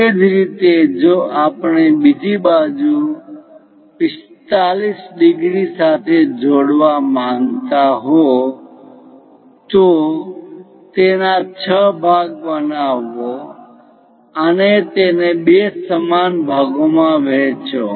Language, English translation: Gujarati, Similarly, if we would like to construct the other side 45 degrees join them make it the part 6 and divide this into two equal parts